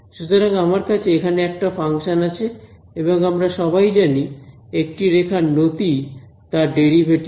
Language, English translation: Bengali, So, I have a function over here we all know that the slope along a curve is given by the derivative right